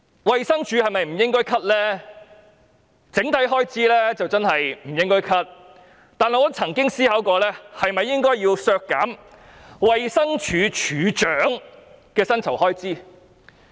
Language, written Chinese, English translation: Cantonese, 衞生署的整體開支是不應該削減的，但我曾思考過是否應該削減衞生署署長的薪酬開支。, The overall expenditure of DH should not but I have contemplated deducting the expenditure on the salary of Director of Health DoH